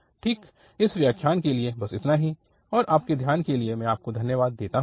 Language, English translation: Hindi, Well, so that is all for this lecture and I thank you for your attention